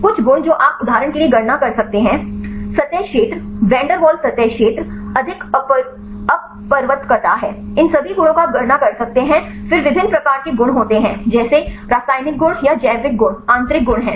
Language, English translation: Hindi, Some properties you can calculate for example, surface area, van der Waals surface area more are refractivity all these a properties you can calculate then there are different types of properties like chemical properties or the biological properties are the intrinsic properties